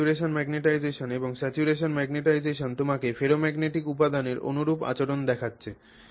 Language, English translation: Bengali, This, from the perspective of saturation magnetization, this material is behaving like a ferromagnet